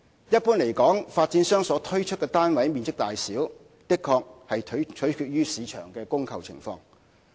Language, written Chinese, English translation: Cantonese, 一般而言，發展商所推出單位的面積大小，的確取決於市場的供求情況。, In general the sizes of flats sold by developers are determined by the supply and demand of the market